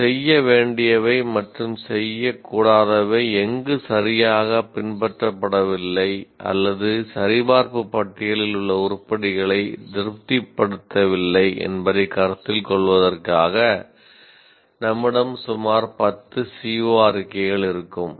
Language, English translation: Tamil, So, we will have about 10 CO statements for you to consider wherein either some do's and don'ts are not properly followed or it does not satisfy the items in the checklist